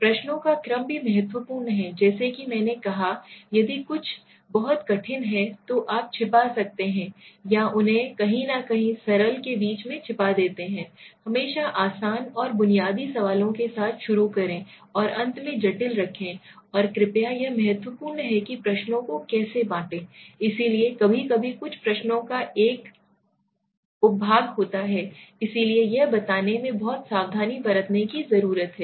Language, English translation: Hindi, Order of the questions also important as I said If some pose some are very difficult you can hide it hide them in between somewhere right, start with always easier questions basic questions and keep the complicated at the end right, and also please this is also important that you should know how to branch the questions, so sometimes some questions would have a sub part of it, so you need to be very careful in addressing that also so interesting simple and non threatening to order, right